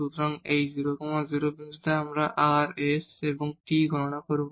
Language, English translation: Bengali, So, at this 0 0 point, we will compute rs and t